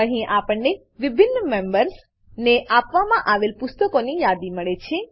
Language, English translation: Gujarati, Here, we get the list of books issued to different members